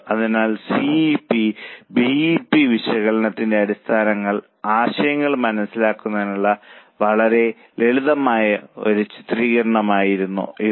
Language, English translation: Malayalam, So, now this was a very simple illustration to understand the basic concepts of CVP and BEP analysis